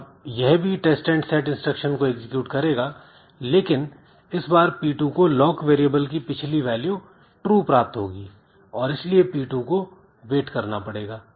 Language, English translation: Hindi, So, it will again execute a test and set instruction but this time p2 gets the previous value of lock which is equal to true